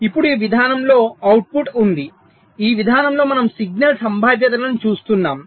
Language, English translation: Telugu, in this approach we are looking at the signal probabilities